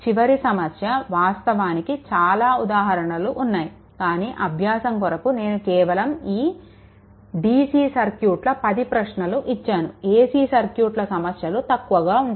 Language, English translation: Telugu, A last problem I actually have many problems, but only this 10 I am giving for dc circuit only ac circuit problem will be reduce